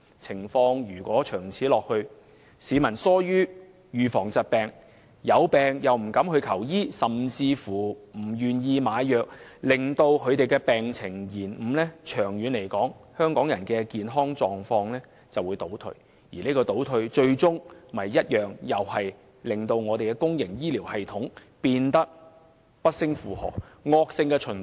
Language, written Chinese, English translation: Cantonese, 長此下去，市民逐漸疏於預防疾病，又或有病不敢求醫，甚至不願意買藥，致使病情延誤，久而久之，香港人的健康狀況便會倒退，因而需要更多醫療服務開支這個倒退，最終會令公營醫療系統更加不勝負荷，造成惡性循環。, If we allow such situation to persist people will gradually become less vigilant against diseases and illnesses afraid of seeking medical consultation even when they have fallen sick or even reluctant to purchase drugs . This will inevitably lead to delayed treatment . Should things go on like this the general health of Hong Kong people will deteriorate thus giving rise to greater demand for health care services while the public health care system will become much more overloaded